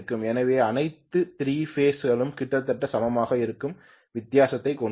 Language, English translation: Tamil, So all the 3 phases will have the difference which are equal almost equal